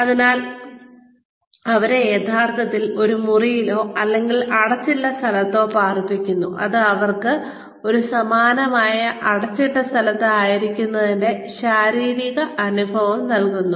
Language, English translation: Malayalam, So, they are actually put in a room, or in an enclosed space, that behaves physically, or that gives them the physical experience, of being in a similar enclosed space